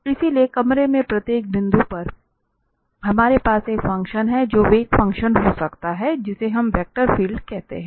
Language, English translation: Hindi, So because at each point, in the room, we have a function which can be velocity function, which is what we call the vector field